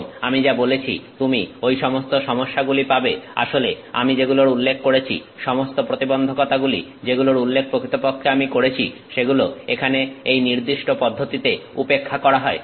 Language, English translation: Bengali, And, as I said you got this all those problems, that I originally mentioned; all the challenges that I originally mentioned are negated in this particular process here